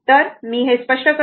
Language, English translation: Marathi, So, let me clear this